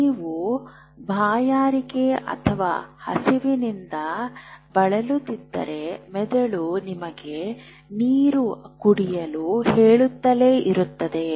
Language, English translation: Kannada, And that also includes if you are feeling thirsty, if you are feeling hungry your brain keep telling you drink water